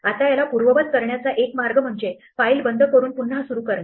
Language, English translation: Marathi, The only way we can undo this is to start again by closing the files